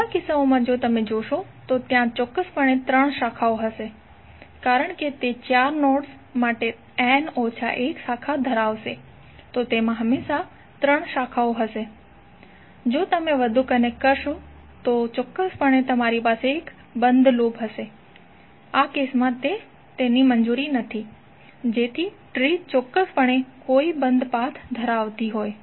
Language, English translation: Gujarati, In all the cases if you see there would be precisely three branches because it will contain n minus one branch for four nodes it will always have three branches, if you connect more, then definitely you will have one closed loop which is not allowed in this case so tree will have precisely no closed path